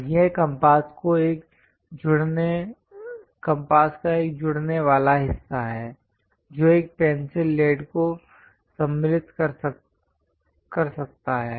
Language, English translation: Hindi, And this is a joining part of compass, which one can insert through which lead can be used